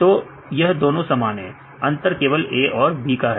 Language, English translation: Hindi, So, each these two are the same right, only difference is a and b